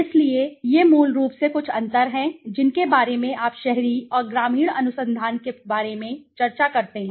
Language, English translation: Hindi, So, these are basically some of the differences that you talk about when you discuss about the urban and rural research